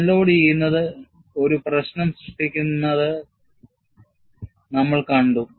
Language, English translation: Malayalam, And, we have seen unloading creates the problem